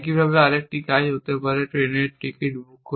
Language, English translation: Bengali, Likewise, another action might be booking a train ticket essentially